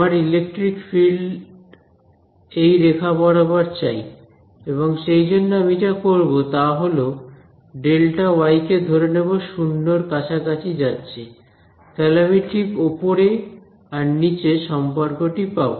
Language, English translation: Bengali, So, I want the electric field along this curve and what I am going to do is I am going to make delta y tend to 0 that is what will give me the relation just above and just below ok